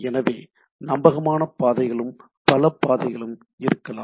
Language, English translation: Tamil, So, there can be reliable path there can be multiple paths, right